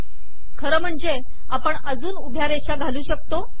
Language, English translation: Marathi, As a matter of fact, we can put more vertical lines